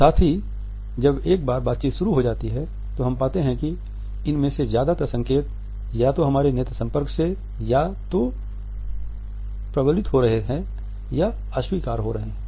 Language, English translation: Hindi, At the same time once the dialogue begins, we find that most on these cues and signals are either reinforced or negated by our eye contact